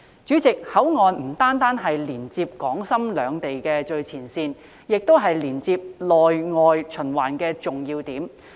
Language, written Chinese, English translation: Cantonese, 主席，口岸不單是連接港深兩地的最前線，亦是連接內外循環的重要點。, President the ports not only stand on the foremost front line to connect Hong Kong and Shenzhen but also act as an important link in the internal and external circulation